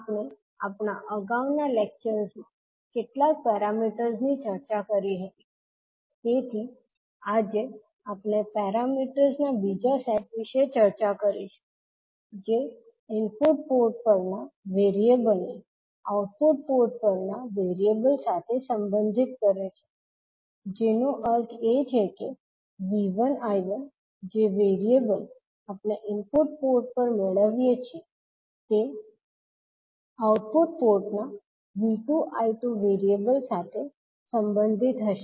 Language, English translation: Gujarati, So we discussed few of the parameters in our previous lectures, so today we will discuss about another set of parameters which relates variables at the input port to those at the output port that means the V 1 I 1 that is the variable we get at the input port will be related with the output port variable that is V 2 and I 2